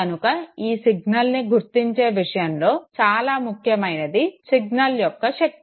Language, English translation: Telugu, Now in terms of detection of this signal what is very, very important is the strength of the signal